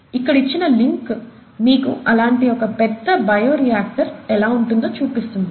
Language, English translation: Telugu, And this link here gives you an image of one such large bioreactor